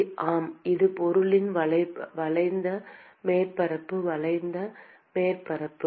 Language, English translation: Tamil, Yes, it is the curved surface area, curved surface area of the object